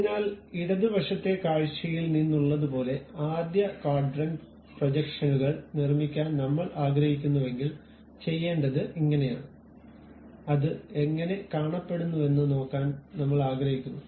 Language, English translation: Malayalam, So, this is the way if I would like to really construct uh first quadrant projections like something from left side view I would like to really look at it how it looks like and so on